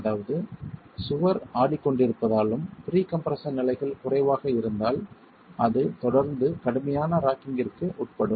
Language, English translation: Tamil, That is since the wall is rocking and if the pre compression levels are low, it can continue to undergo rigid rocking